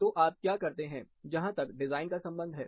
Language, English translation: Hindi, So, what do we do, in terms of design